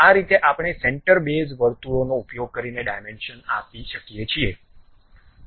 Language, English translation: Gujarati, This is the way we can give dimensioning using center base circles